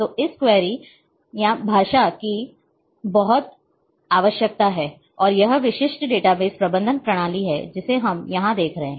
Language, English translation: Hindi, So, this query language is very much required, and this is the typical database management system which we are seeing here